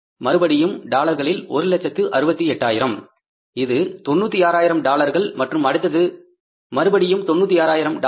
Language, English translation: Tamil, Again, dollar 168,000s, it is 96,000s and it is again 96,000 dollars